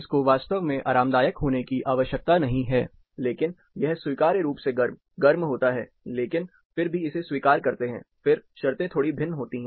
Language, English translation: Hindi, It does not have to be really comfortable, but it can also be acceptably warm, warm, but still again accept it, then, the conditions slightly differ